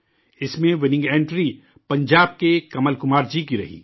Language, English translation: Urdu, In this, the winning entry proved to be that of Kamal Kumar from Punjab